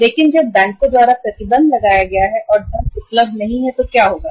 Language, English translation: Hindi, But when the restriction is imposed by the by the banks and the funds are not available so what will happen